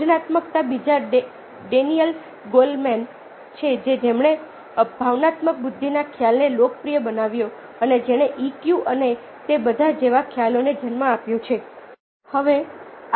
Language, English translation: Gujarati, creativity: the second is daniel golman who popularised the concept of emotional intelligence and which gave rise to concepts like e, q and all that